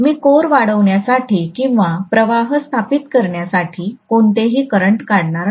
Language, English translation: Marathi, I am not going to draw any current to magnetize the core or establish the flux